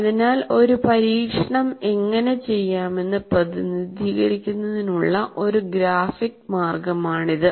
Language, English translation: Malayalam, So this is one graphic way of representing how an experiment can be done